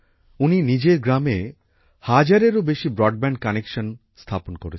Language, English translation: Bengali, He has established more than one thousand broadband connections in his village